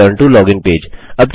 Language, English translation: Hindi, Return to login page